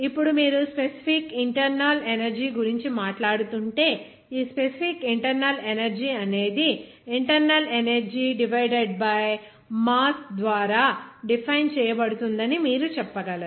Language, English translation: Telugu, Now, if you are talking about that specific internal energy, you can say that this specific internal energy will be defined by internal energy divided by mass